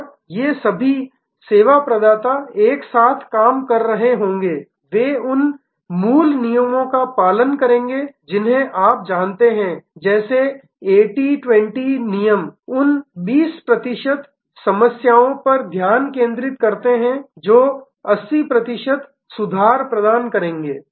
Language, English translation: Hindi, And all these service providers will be working together they will follow the original you know rules like 80, 20 rules focusing on those 20 percent problems, which will provide the 80 percent improvement